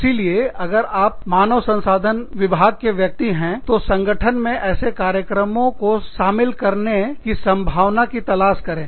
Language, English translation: Hindi, So, if you are an HR person, please look into the possibility, of introducing these programs, into your organization